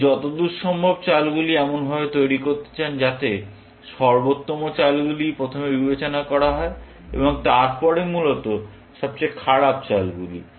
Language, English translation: Bengali, You would like to generate the moves as far as possible, in such a manner that the best moves are considered first, and then, the worst moves, essentially